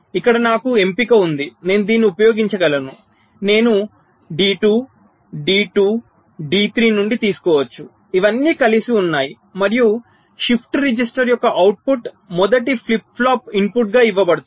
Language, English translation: Telugu, i can take from d two, d two, d three are all of them together, and output of the shift register is fed as the input to the first flip flop